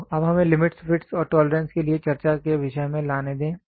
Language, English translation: Hindi, So, now let us get into the topic of discussion for limits fits and tolerance